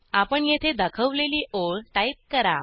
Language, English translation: Marathi, And type the line as shown here